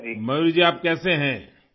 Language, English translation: Urdu, Mayur ji how are you